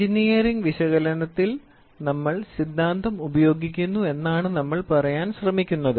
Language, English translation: Malayalam, What we are trying to say is in engineering analysis we do theory